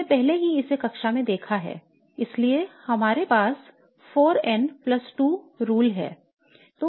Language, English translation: Hindi, So we have already looked at this in class so we have the rule called the 4n plus 2 rule